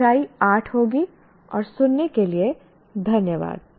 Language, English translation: Hindi, So that will be the unit 8 and thank you for listening